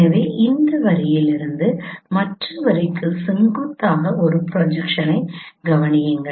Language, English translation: Tamil, So consider a perpendicular projections from this line to the other line